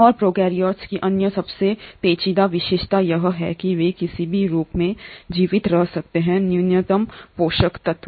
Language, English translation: Hindi, And the other most intriguing feature of prokaryotes are they can survive in any form of minimal nutrients